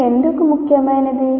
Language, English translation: Telugu, Why is this important